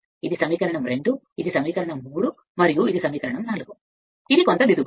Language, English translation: Telugu, This is your equation 2, this is equation 3 and this is equation 4 actually, this way some correction right